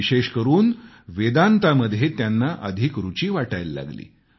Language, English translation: Marathi, Later he was drawn towards Indian culture, especially Vedanta